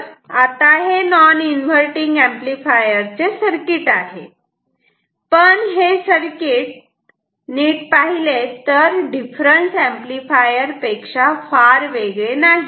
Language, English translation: Marathi, So, it is non inverting amplifier, but it is not much different from the difference amplifier